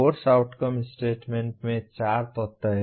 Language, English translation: Hindi, The Course Outcome statement has four elements